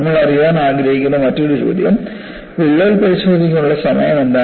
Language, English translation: Malayalam, And the other question that we would like to know is, what is the time available for inspecting the crack